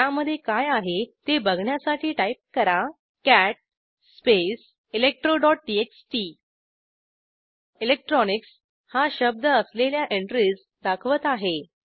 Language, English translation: Marathi, To see what they contain type: cat space electro.txt This will display the enteries with the word electronics